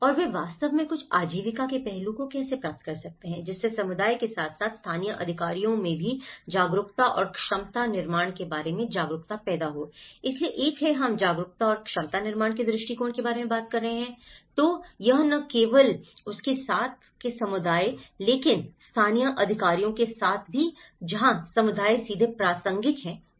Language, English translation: Hindi, And how they can actually able to approach certain livelihood aspect, generating awareness and capacity building regarding asset management in the community as well as local authorities, so one is, we are talking about the awareness and capacity building approach, so it is not only with the community but also with the local authorities where the community is directly relevant